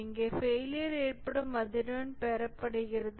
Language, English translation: Tamil, Here the frequency of occurrence of failure is obtained